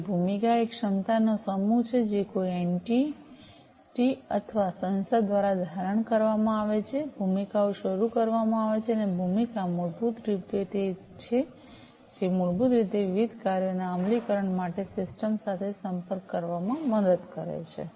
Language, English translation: Gujarati, So, the role is the set of capacities that are assumed by an entity or an organization, the roles are initiated, and roles are basically the ones, which basically help in interacting with the system for the execution of the different tasks